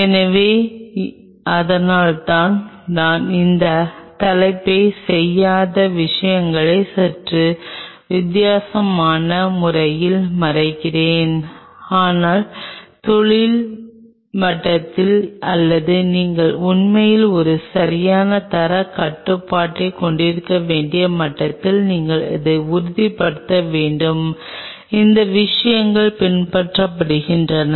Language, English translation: Tamil, So, that is why I am kind of covering this topic in a slightly different way the things which are not being done, but at the industry level or at the level where you really have to have a perfect quality control there you have to ensure that these things are being followed